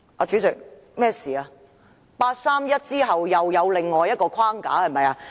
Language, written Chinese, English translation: Cantonese, 是否在八三一決定之後，又出現另一框架？, Have they put in place another framework following the 31 August Decision?